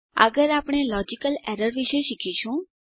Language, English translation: Gujarati, Next we will learn about logical errors